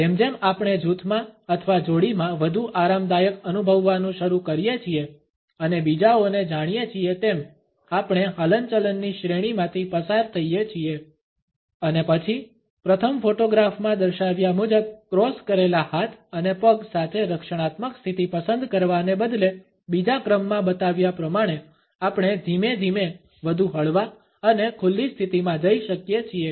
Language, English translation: Gujarati, As we begin to feel more comfortable in a group or in a dyad and we get to know others, we move through a series of movements and then instead of opting for a defensive position with crossed arms and legs as a displayed in the first photograph, we can gradually move to a more relaxed and open position as is shown in the second one